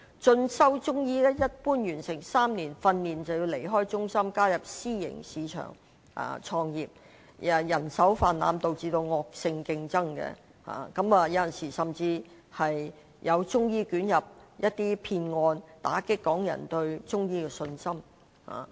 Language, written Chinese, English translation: Cantonese, 進修中醫藥的學生，一般在完成3年訓練後，便要離開中心進入私營市場創業，人手泛濫導致惡性競爭，有時候甚至有中醫捲入騙案，打擊港人對中醫的信心。, Students pursuing further studies in Chinese medicine will usually have to leave CMCTRs after three years of training and then practise in the private market . But the large number of practitioners leads to unhealthy competition and sometimes there are fraud cases involving Chinese medicine practitioners which dampen Hong Kong peoples confidence in them